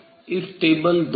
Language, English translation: Hindi, from this table 2